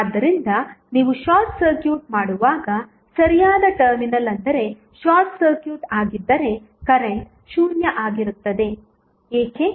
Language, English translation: Kannada, So, when you short circuit the right most terminal that is if you short circuits then current would be 0, why